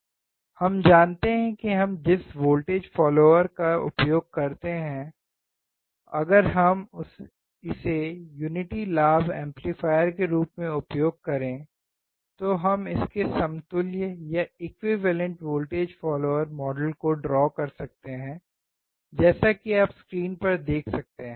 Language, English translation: Hindi, We know that voltage follower we use, if we use it as a unity gain amplifier the equivalent voltage follower model, we can draw it as you can see on the screen